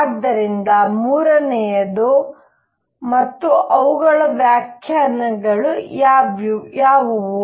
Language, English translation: Kannada, And so, does the third one and what are their interpretations